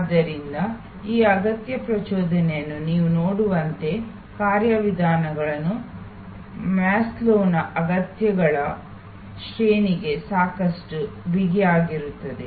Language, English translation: Kannada, So, as you can see this need arousal, mechanisms are quite tight to the Maslow’s hierarchy of needs